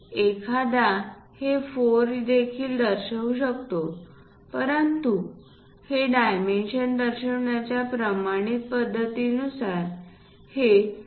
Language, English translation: Marathi, One can also show this one as 4, but the standard practice of showing these dimensions because this 2